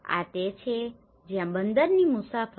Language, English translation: Gujarati, This is where travel to the harbour